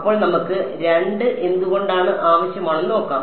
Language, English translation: Malayalam, So, let us see why do we need 2